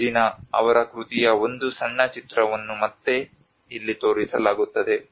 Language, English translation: Kannada, A small film of Reginaís work will be again shown here